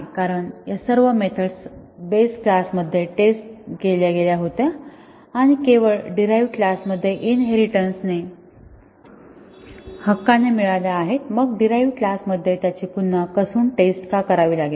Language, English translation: Marathi, Why is that because these were the methods that were all tested in the base class to be working fine and we have just inherited them in the derived class, why do we have to test them again thoroughly in the derived class